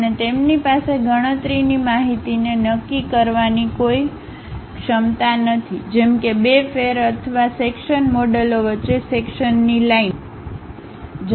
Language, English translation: Gujarati, And, they do not have any ability to determine computational information such as the line of intersection between two faces or intersecting models